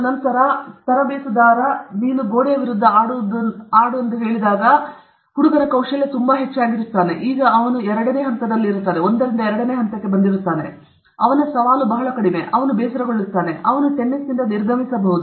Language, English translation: Kannada, After two months also if the coach will say’s that you will play against the wall, then his skill is very high, his challenge is very low, he will get bored, and he may drop off from tennis